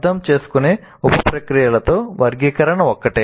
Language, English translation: Telugu, Classify is one of the sub processes of understand